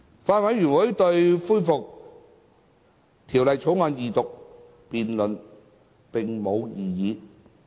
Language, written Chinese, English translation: Cantonese, 法案委員會對恢復《條例草案》二讀辯論並無異議。, The Bills Committee has no objection to the resumption of the Second Reading debate on the Bill